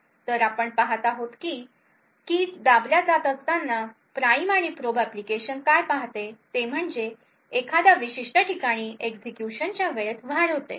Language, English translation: Marathi, So, we see that as keys are being pressed what the prime and probe application sees is that there is an increase in execution time during a particular place